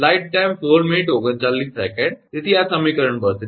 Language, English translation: Gujarati, So, this is equation 32